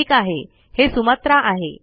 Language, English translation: Marathi, Alright, this is Sumatra